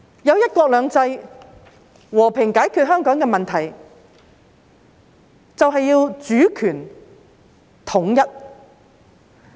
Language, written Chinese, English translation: Cantonese, 以"一國兩制"和平解決香港的問題，便要主權統一。, To resolve the issue of Hong Kong peacefully with one country two systems we need the unification of sovereignty